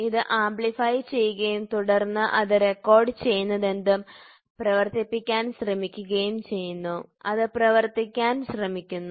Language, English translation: Malayalam, So, this amplifies and then it tries to actuate whatever it has recorded, it tries to actuate